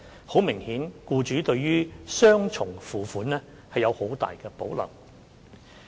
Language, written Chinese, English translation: Cantonese, 很明顯，僱主們對雙重付款有很大保留。, Obviously employers have great reservations about making double payments